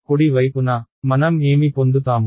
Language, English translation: Telugu, On the right hand side, what will I get